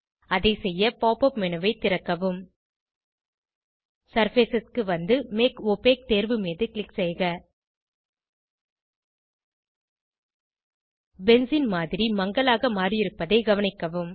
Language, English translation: Tamil, To do so, open the Pop up menu, Scroll down to Surfaces and select Make Opaque options Observe that the benzene model has become opaque